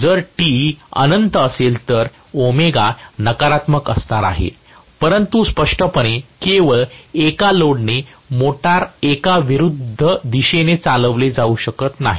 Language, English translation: Marathi, If Te is infinity, I am going to have omega to be negative but obviously a motor cannot be driven in the opposite direction just by a load